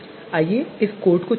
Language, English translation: Hindi, So let us run this code